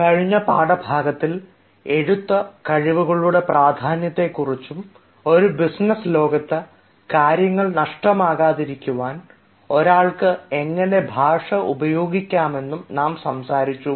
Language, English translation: Malayalam, in the previous lecture, we talked about the importance of writing skills and how one can use language in order to make things explicit and not implicit in a business world